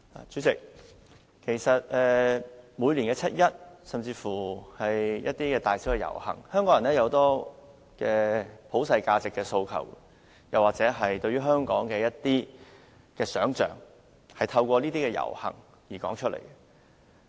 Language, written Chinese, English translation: Cantonese, 主席，在每年的七一遊行或是其他大小遊行，香港人提出很多對普世價值的訴求，或對香港一些現象的不滿，透過遊行表達出來。, President in each years 1 July march or other rallies big or small Hong Kong people voice their aspirations for universal values or their dissatisfaction with various phenomena in Hong Kong